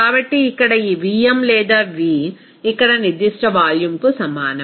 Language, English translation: Telugu, So, here this Vm or V that will be is equal to the specific volume here